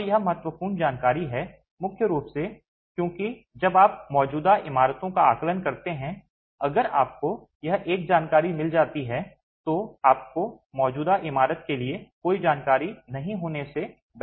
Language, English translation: Hindi, And this is an important information primarily because when you are doing assessment of existing buildings, if you can get this one information, you are better place than having no information for an existing building